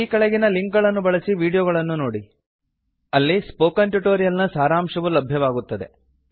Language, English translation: Kannada, Watch the video available at the following link: It summarises the Spoken Tutorial project